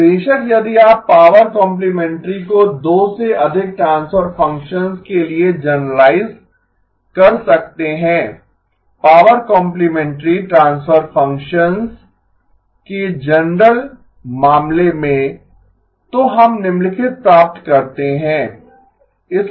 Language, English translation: Hindi, Now of course if you can generalize the power complementary to more than two transfer functions, in the general case of power complementary transfer functions, we get the following